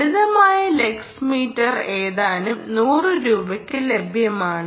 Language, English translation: Malayalam, simple lux meter is just available for a few hundred rupees